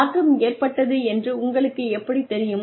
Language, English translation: Tamil, How do you know that change occurred